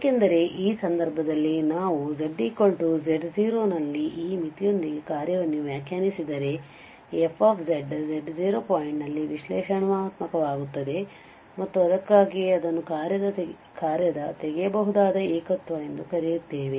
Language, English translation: Kannada, Because in this case if we define the function at z equal to z0 with this limit which exist then this fz will become analytic at z naught point and that is the reason we call it as a removable singularity of the function